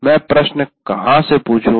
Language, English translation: Hindi, Where do I ask questions